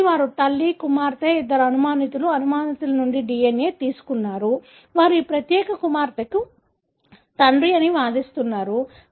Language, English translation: Telugu, So, they took the DNA from the mother, the daughter, the two suspects, suspect meaning who are claiming that they are the father for this particular daughter